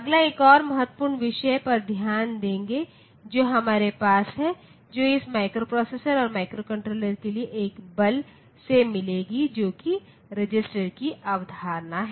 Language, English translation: Hindi, Next will look into another important topic that we have that will meet for this microprocessor a microcontroller force, which is the concept of the resistance